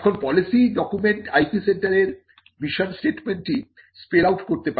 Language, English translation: Bengali, Now, the policy document can spell out the mission statement of the IP centre